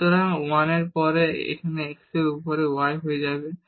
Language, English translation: Bengali, So, a 1 and then y over x it will become